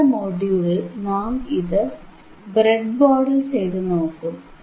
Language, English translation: Malayalam, And now in the next module, we will implement it on the breadboard, alright